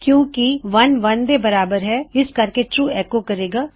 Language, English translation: Punjabi, 1 does equal to 1 so this will echo True